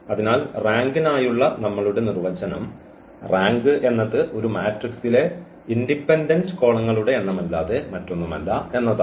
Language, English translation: Malayalam, So, now our definition for the rank is that rank is nothing but the number of independent columns in a matrix